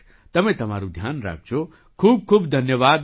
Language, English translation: Gujarati, Take care of yourself, thank you very much